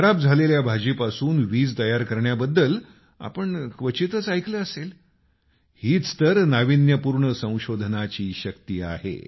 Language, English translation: Marathi, You may have hardly heard of generating electricity from waste vegetables this is the power of innovation